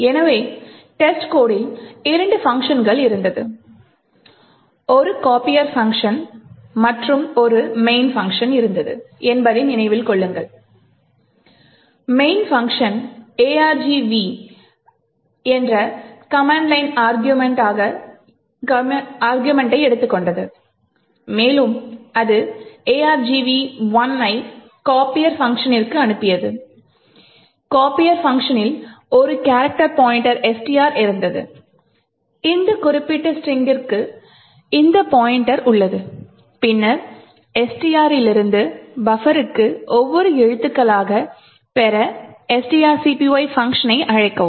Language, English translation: Tamil, So recollect that the test code had two functions a copier function and a main function, the main function took the argv as command line arguments and it passed argv 1 to the copier function, the copier function had a character pointer STR which have this pointer to this particular string and then invoke string copy taking character by character from STR into this buffer